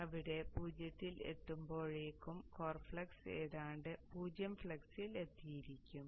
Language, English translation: Malayalam, So by the time it reaches zero here the core flux would have almost come to zero flux state